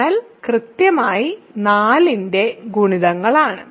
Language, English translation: Malayalam, So, kernel is exactly the multiples of 4